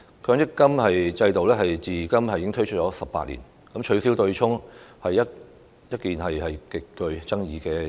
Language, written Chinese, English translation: Cantonese, 強積金制度推出至今超過18年，取消對沖機制一直極具爭議。, It has been more than 18 years since the introduction of the MPF System and the abolition of the MPF offsetting mechanism has all along been highly controversial